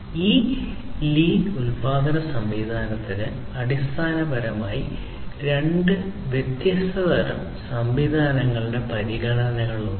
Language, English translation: Malayalam, So, this lean production system has basically considerations of two different types of systems that were there